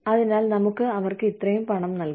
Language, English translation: Malayalam, So, let us pay them, this much